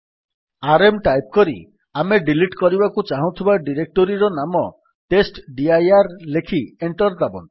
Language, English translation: Odia, Let us type rm and the directory that we want to delete which is testdir and press Enter